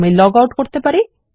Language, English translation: Bengali, I can log out